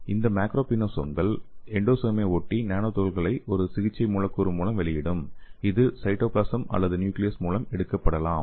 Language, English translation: Tamil, And this macropinosomes will reach your endosome and there it will be releasing your nanoparticles with a therapeutic molecule and that can be taken up by the cytoplasm or the nucleus